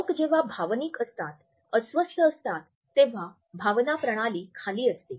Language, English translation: Marathi, People when they are being emotional, upset, the feeling channel is down here